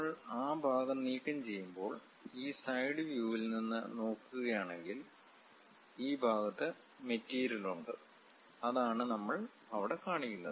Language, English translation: Malayalam, When we remove that part; if we are looking from this side view, there is a material present in this zone and that is the one what we are seeing there